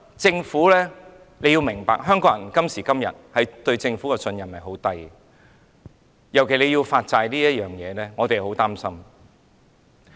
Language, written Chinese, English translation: Cantonese, 政府要明白，今時今日，香港人對政府的信任很低，尤其是對政府要發債這事上，我們是很擔心的。, The Government should realize that nowadays the trust of the people of Hong Kong in the Government is wearing thin particularly on the issuance of bonds . Hence we are worried about this